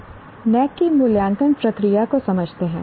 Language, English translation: Hindi, Now let us understand the assessment process of NAC